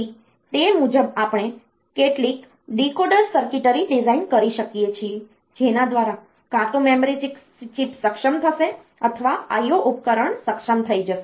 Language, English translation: Gujarati, So, accordingly we can design some decoder circuitry by which either the memory chip will get enabled or the I O devices they will get enabled; so they will